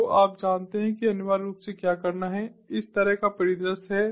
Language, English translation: Hindi, so you know what essentially has to be done is the scenario like this